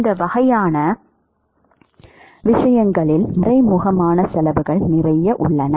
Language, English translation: Tamil, There are lots of hidden costs which is involved in these kinds of things